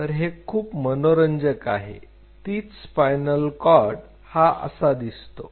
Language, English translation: Marathi, So, it is very interesting the spinal cord is kind of like this